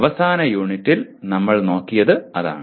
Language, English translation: Malayalam, That is what we looked at in the last unit